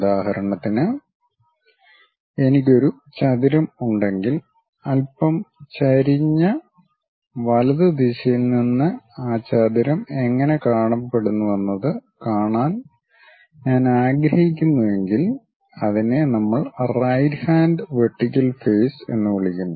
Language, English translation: Malayalam, For example, if I have a rectangle and I would like to view it from slightly inclined right direction the way how that rectangle really looks like that is what we call right hand vertical face thing